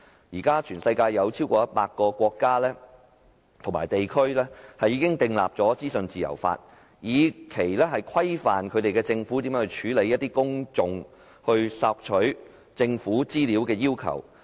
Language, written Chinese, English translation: Cantonese, 全球現時已有超過100個國家和地區制定了資訊自由法，規範政府如何處理公眾索取政府資料的要求。, There are over 100 countries and regions worldwide in which the legislation on freedom of information is in place to regulate how the government should handle the publics requests for government information